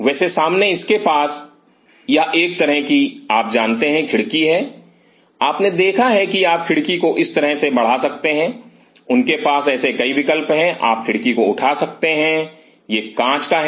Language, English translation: Hindi, By the way the front it has a kind of you know just like windows you have seen you can raise the window like this or you can lift the window like this they have several such options you can lift the window it is a glass a